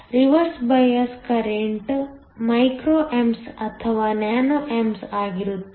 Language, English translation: Kannada, The reverse bias current is either micro amps or nano amps